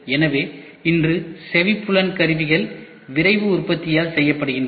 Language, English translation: Tamil, So, today hearing aids are made by Rapid Manufacturing